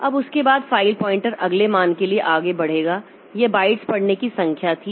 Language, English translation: Hindi, Now, now after that the file pointer will advance to the next suppose this much was the number of bytes rate